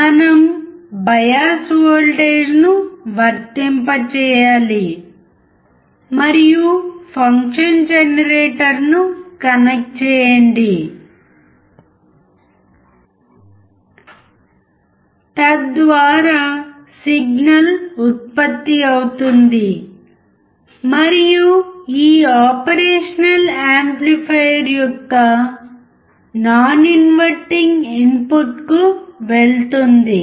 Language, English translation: Telugu, We must apply the bias voltage and connect our function generator so that the signal generated goes to the non inverting input of this operation amplifier